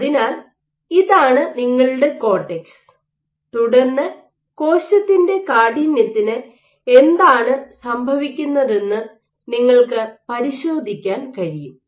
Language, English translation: Malayalam, So, this is your cortex and then you can probe what is happening to the cell stiffness